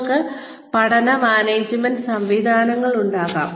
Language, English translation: Malayalam, You could have learning management systems